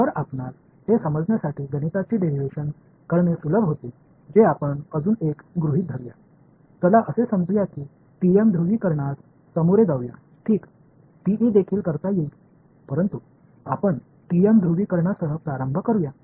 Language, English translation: Marathi, So, to further you know simplify the mathematical derivation that happens let us make one more assumption, let us say that let us deal with the TM polarization ok, TE can also be done, but let us start with TM polarization